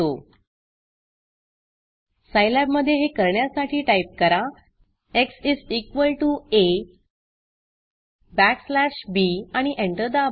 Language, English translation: Marathi, Lets do this in Scilab x is equal to A backslash b and press enter